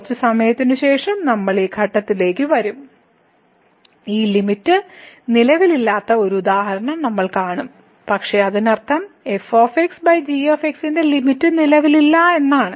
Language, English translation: Malayalam, We will come to this point little later and we will see one example where this limit does not exist, but it does not mean that the limit of over does not exist